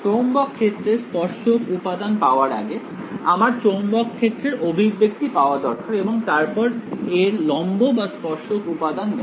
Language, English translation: Bengali, Before I get to tangential component of the magnetic field, I should just I should first get an expression for the magnetic field and then take its normal or tangential component right